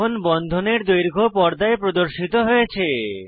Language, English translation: Bengali, The bond length is now displayed on the screen